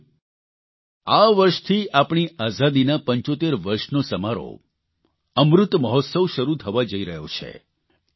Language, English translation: Gujarati, this year, India is going to commence the celebration of 75 years of her Independence Amrit Mahotsav